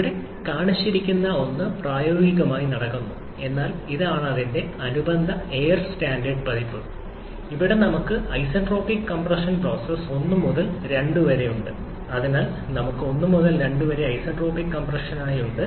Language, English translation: Malayalam, The one that is shown here that is what goes in practice but this is the corresponding air standard version of this where we have the isentropic compression process as 1 to 2, so we have 1 to 2 as isentropic compression